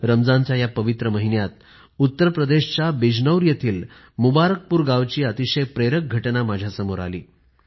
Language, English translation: Marathi, In this holy month of Ramzan, I came across a very inspiring incident at Mubarakpur village of Bijnor in Uttar Pradesh